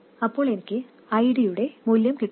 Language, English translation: Malayalam, So this increases the value of ID